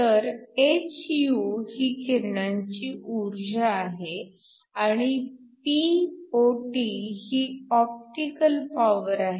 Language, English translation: Marathi, So, hυ is the energy of the radiation and Pot is the optical power